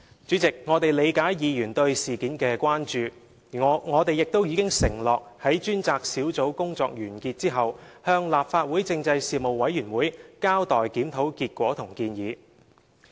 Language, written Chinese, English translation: Cantonese, 主席，我們理解議員對事件的關注，而我們亦已承諾在專責小組工作完結後，向事務委員會交代檢討結果和建議。, President we understand Members concern about the incident . We have also undertaken to inform the Panel of the review findings and recommendations after the Task Force has finished its work